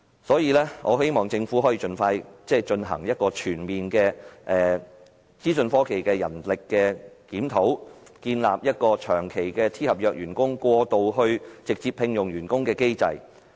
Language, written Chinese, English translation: Cantonese, 所以，我希望政府可以盡快進行全面的資訊科技人力檢討，建立機制由長期聘用 "T 合約"員工過渡至直接聘請員工。, I thus hope that the Government can expeditiously conduct a comprehensive review on IT manpower and propose a mechanism to phase out long - term employment of T - contract staff and replace it with direct employment of IT staff